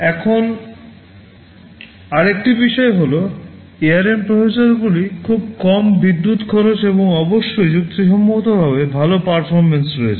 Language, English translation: Bengali, Now another thing is that this ARM processors they have very low power consumption and of course, reasonably good performance